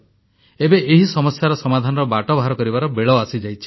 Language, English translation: Odia, Now the time has come to find a solution to this problem